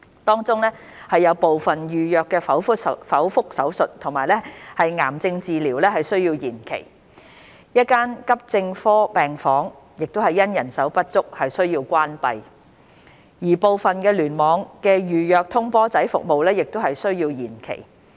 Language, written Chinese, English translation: Cantonese, 當中有部分預約剖腹手術和癌症治療需要延期、1間急症科病房因人手不足需要關閉，而部分聯網的預約通波仔服務亦需要延期。, In particular certain elective cesarean operations and cancer treatments were deferred an Emergency Medicine Ward in AE Department was closed owing to insufficient manpower while some elective percutaneous coronary intervention procedures in certain hospital clusters were also deferred